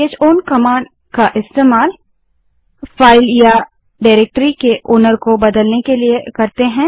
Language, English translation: Hindi, c h own command is used to change the ownership of the file or directory